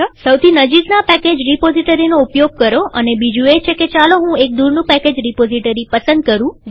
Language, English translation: Gujarati, Use the nearest package repository, and the other one is let me choose a remote package repository